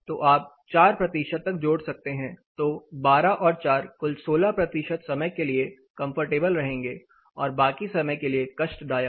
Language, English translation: Hindi, Then you can add about 4 percent to the comfort 12 plus four 16 percent of the duration will be comfortable rest will be uncomfortable